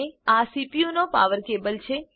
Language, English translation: Gujarati, This is the power cable of the CPU